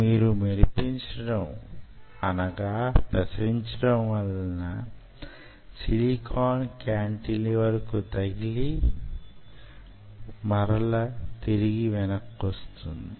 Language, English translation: Telugu, so this is how your shining: it hits on that silicon cantilever and it bounces back